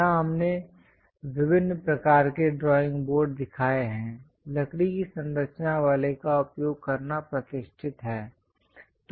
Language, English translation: Hindi, Here we have shown different variety of drawing boards; the classical one is using a wooden structure